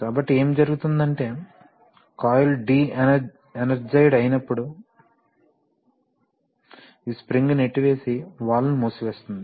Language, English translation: Telugu, So, what happens is that in, when the coil is de energized then this spring will push and keep the valve closed right